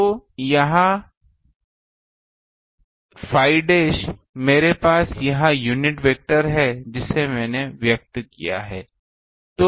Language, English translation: Hindi, So, now this a phi dashed I have this unit vector I have expressed